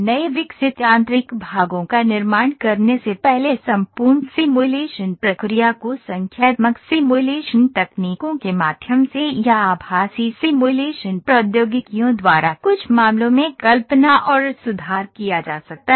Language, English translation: Hindi, Before producing newly developed mechanical parts the entire manufacturing process can be visualized and improved by means of numerical simulation techniques or in some cases by virtual simulation technologies